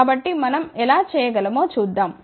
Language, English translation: Telugu, So, let us see how we can do that